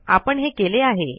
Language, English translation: Marathi, We did this